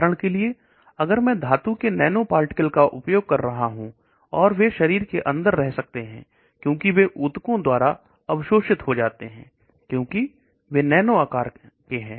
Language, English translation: Hindi, For example, if I am using nanoparticles metal nanoparticles they may stay inside the body get absorbed by the tissues, because they are nano size